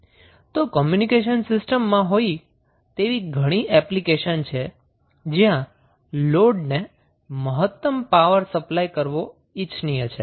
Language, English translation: Gujarati, So, there are such applications such as those in communication system, where it is desirable to supply maximum power to the load